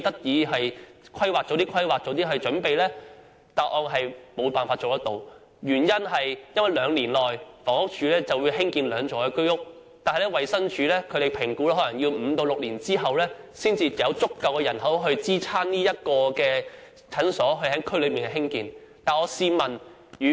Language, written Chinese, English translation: Cantonese, 政府回答沒有辦法做到，原因是房屋署雖然會在兩年內興建兩座居屋，但衞生署評估可能要五六年後，才有足夠人口支持在區內興建診所。, The Government replied that it cannot do so for although the Housing Department will build two Home Ownership Scheme blocks within two years the Department of Health estimates that it will take five to six years before the population requirement is met for the provision of a clinic